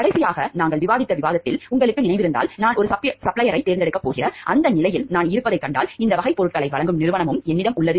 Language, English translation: Tamil, Like in if you remember in the last discussion we discussed about, if I find like I am in that position where I am going to select a supplier and I do also have a company who is supplying this type of goods